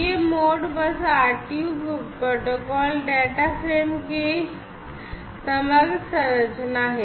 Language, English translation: Hindi, So, here is basically the overall structure of the Modbus RTU protocol data frame